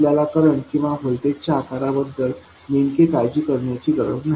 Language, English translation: Marathi, We don't have to worry about exactly the shape of the current or the voltage